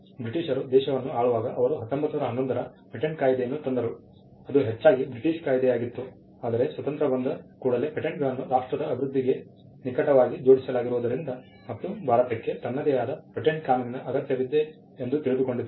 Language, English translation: Kannada, The Britishers when they were ruling the country, they had brought in the patents act of 1911 which was largely the British act itself, but soon after independence, it was felt that because patents are tied closely to the development of a nation, it was felt that India required its own patent law